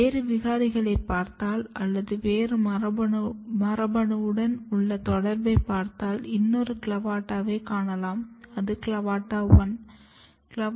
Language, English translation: Tamil, Then if you go again and look another mutants or if you see the genetic interaction with other genes, then what you can see there is another CLAVATA which is called CLAVATA1